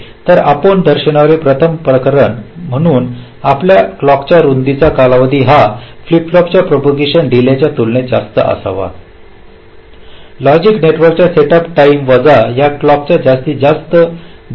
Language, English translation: Marathi, so there your clock width time period must be greater than equal to the propagation delay of the flip flop, the maximum delay of the logic network setup time, minus this delay